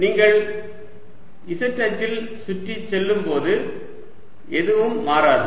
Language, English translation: Tamil, nothing changes with respect to when you go around the z axis